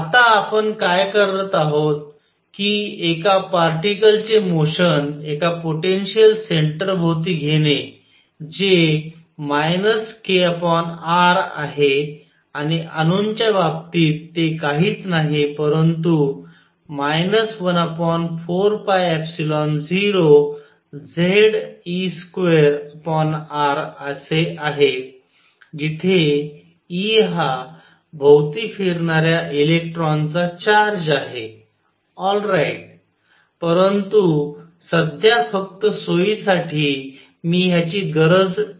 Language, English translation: Marathi, What we are now doing is taking the motion of a particle in a plane around a potential centre which is minus k over r and the case of atoms it is nothing, but minus 1 over 4 pi epsilon 0, Z e square over r where e is the charge of the electron going around, alright, but for the time being just for convenience I will keep this ask